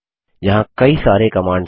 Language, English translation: Hindi, There are many more commands